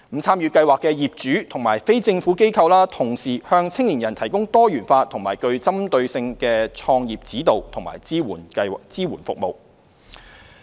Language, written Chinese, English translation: Cantonese, 參與計劃的業主和非政府機構均同時向青年人提供多元化和具針對性的創業指導及支援服務。, The property owners and NGOs joining the scheme also provide diverse and specific entrepreneurship guidance and support services to young people